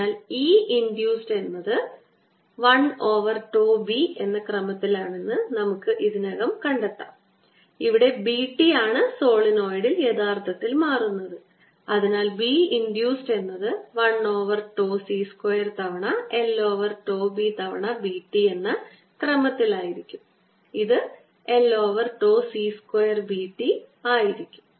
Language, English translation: Malayalam, so we had all ready found that e induced is of the order of l over tau times, is b t that is changing originally in the solenoid and therefore b induced is going to be of the order of l over tau c square times, l over tau times b t, which is l over tau c square b t